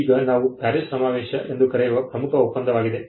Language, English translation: Kannada, Now, the most important agreement is what we call the PARIS convention